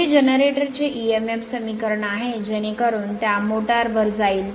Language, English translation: Marathi, Next is emf equation of a generator, so from that we will move to motor